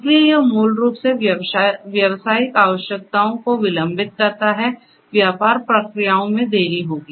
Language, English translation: Hindi, So, that basically delays the business requirements, business processes will be delayed